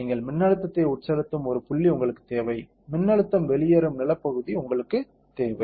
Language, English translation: Tamil, You need a point where you inject the voltage and you need the point where the voltage the current will go out that is the ground